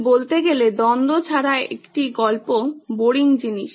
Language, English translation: Bengali, So to speak is that a story without a conflict is a boring thing